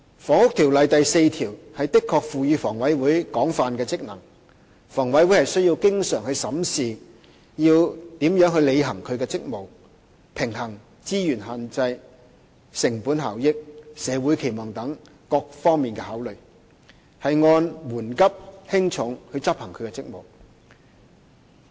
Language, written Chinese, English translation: Cantonese, 《房屋條例》第4條的確賦予房委會廣泛的職能，房委會需要經常審視應如何履行其職務，平衡資源限制、成本效益、社會期望等各方面的考慮，按緩急輕重執行其職務。, Indeed section 4 of the Housing Ordinance vested HA with a wide range of functions . HA needs to constantly review how it should perform its duties strike a balance among various considerations as resource constraints cost - effectiveness and social expectations and work through prioritization